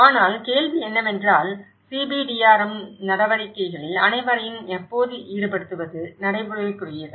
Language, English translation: Tamil, But the question is; is it practical to involve everyone all the time in CBDRM activities